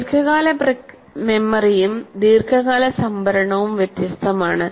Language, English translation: Malayalam, And here long term memory and long term storage are different